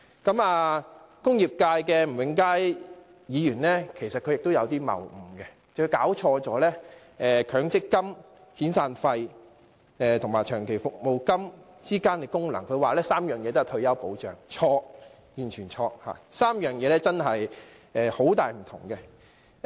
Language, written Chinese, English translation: Cantonese, 此外，工業界吳永嘉議員的發言也存在謬誤，他弄錯強積金、遣散費及長期服務金的功能，他說三者都是退休保障，這說法完全錯誤，三者實在有很大分別。, Moreover the remarks made by Mr Jimmy NG of the industrial sector are flawed in that he has confused the functions of MPF severance payments and long service payments . He said that they all belong to retirement protection which is completely wrong . They are actually very different